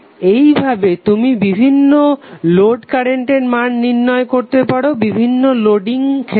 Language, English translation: Bengali, So in this way you can calculate the value of the load current for various Loading conditions